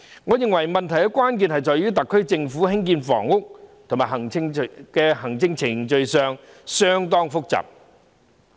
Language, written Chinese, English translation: Cantonese, 我認為問題關鍵在於特區政府在興建房屋方面的行政程序相當複雜。, I think the crux of the problem lies in the complexity of the administrative procedures of the SAR government in housing construction